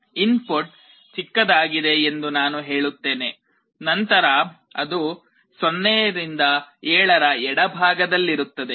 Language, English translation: Kannada, Suppose I say that the input is smaller; then it will be on the left half 0 to 7